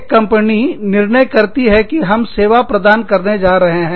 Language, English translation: Hindi, One company decided, that we are going to offer service